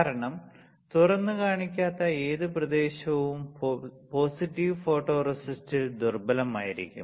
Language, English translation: Malayalam, Because in negative photoresist, whatever area is not exposed will be weaker in positive photoresist